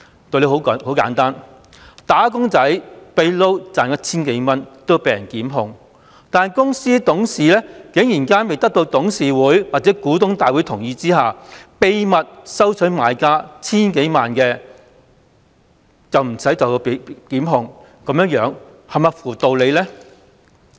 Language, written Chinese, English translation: Cantonese, 道理十分簡單，"打工仔"私下兼職賺取 1,000 元也會被人檢控，但公司董事竟然在未得到董事會或股東大會同意下秘密收取買家數千萬元報酬但卻不被檢控，這是否合乎道理呢？, An employee will be prosecuted for earning 1,000 from moonlighting . But a company director who secretively accepted a reward amounting to tens of millions of dollars from the relevant buyer without the consent of the board of directors or the general meeting nonetheless has not been prosecuted . Can this stand to reason?